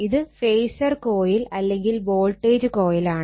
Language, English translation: Malayalam, And this phasor coil actually it is a voltage coil